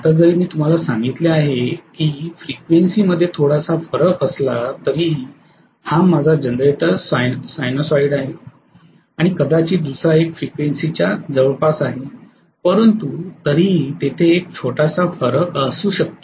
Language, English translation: Marathi, Now at some point even if there is a small difference in frequency as I told you this is my generator sinusoid and maybe the other one is almost close in frequency but still there is a small variation may be